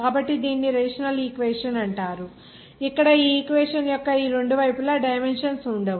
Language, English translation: Telugu, So this is called a rational equation where there will be no dimensions on both sides of this equation